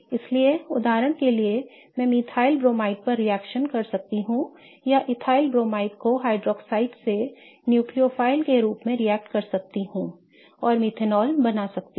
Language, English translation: Hindi, So, for example, I can react methyl bromide or let's say ethyl bromide with hydroxide as a nucleophile and create methanol